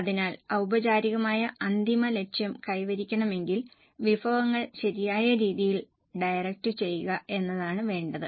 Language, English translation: Malayalam, So, if the formal, final goal is to be achieved, what is required is the resources are properly channelized